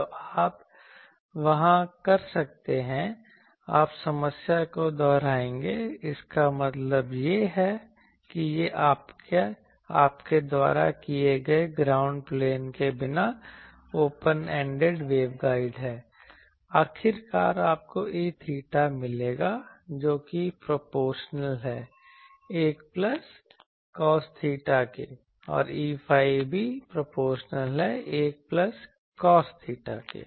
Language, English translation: Hindi, So, you can do there, you will repeat the problem you will see that if the same problem that means, this is open ended waveguide without the ground plane you do, ultimately you get E theta will be proportional to 1 plus cos theta and E phi also will be proportional to 1 plus cos theta, so that you can do ok